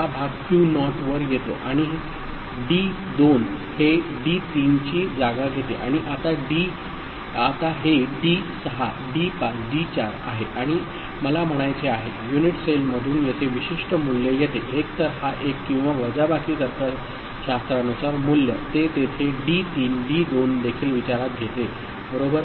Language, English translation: Marathi, This quotient q naught comes over here right and D2 takes place of D3 right and now this D6 D5 D4 and I mean, what is you know, the particular value that comes over here from the unit cell either this one or the subtraction value as per the logic, that will be there with that D3 the D2 also comes into consideration